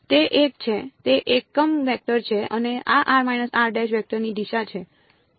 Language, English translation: Gujarati, It is one; it is a unit vector right and what is the direction of this vector